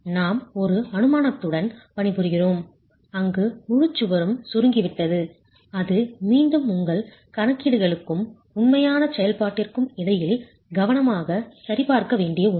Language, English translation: Tamil, We are working with an assumption where the entire wall is grouted and that is again something that you should carefully check between your calculations and actual execution itself